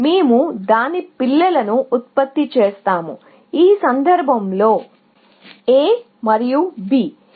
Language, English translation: Telugu, We generate its children, in this case; A and B